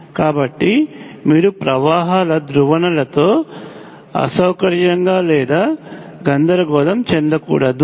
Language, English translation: Telugu, So you should not get uncomfortable or unconfused with polarities of currents